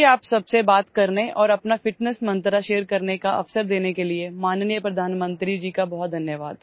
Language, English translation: Hindi, Many thanks to the Honorable Prime Minister for giving me the opportunity to talk to you all and share my fitness mantra